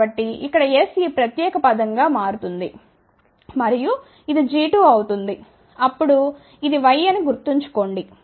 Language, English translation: Telugu, So, over here then S will become this particular term and this will be g 2, remember now this is y